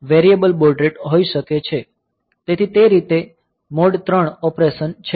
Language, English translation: Gujarati, So, that way it is the mode 3 operation